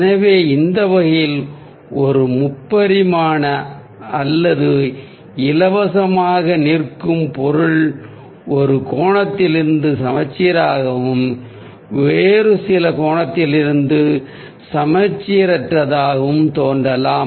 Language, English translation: Tamil, so in that way, a three dimensional or a free standing object [noise] may look symmetrical from one angle and asymmetrical from some other angle